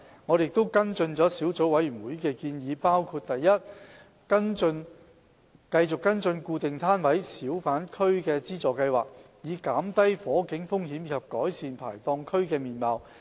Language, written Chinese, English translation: Cantonese, 我們跟進了小組委員會的建議，包括： a 繼續跟進固定攤位小販區資助計劃，以減低火警風險及改善排檔區的面貌。, We have followed up the recommendations made by the Subcommittee including a continuing to implement the assistance scheme for fixed - pitch hawker areas to minimize the fire risks and improve the outlook of fixed pitch areas